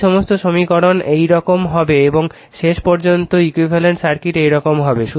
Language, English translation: Bengali, All these equations will be like this and your and ultimately your equivalent circuit will be like this right